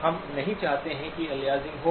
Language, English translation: Hindi, We do not want that aliasing happen